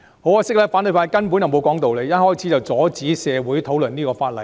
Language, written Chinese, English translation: Cantonese, 很可惜，反對派根本不講道理，一開始就阻止社會討論此項法案。, Regrettably the opposition camp simply does not subscribe to reasons and has prevented the discussion on the Bill in society from the beginning